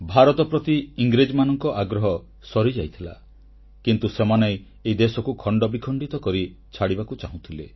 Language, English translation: Odia, The English had lost interest in India; they wanted to leave India fragmented into pieces